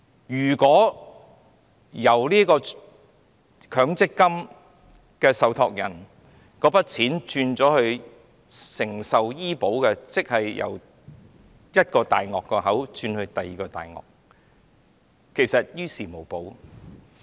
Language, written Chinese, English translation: Cantonese, 如果把交給受託人的強積金轉為購買醫保，即是由一個"大鱷"的口中轉到另一個"大鱷"，其實於事無補。, If the MPF funds now handed over to the trustees are transferred to insurance companies for taking out health insurance then it is the same as going from the mouth of a big predator to another . It does not do any good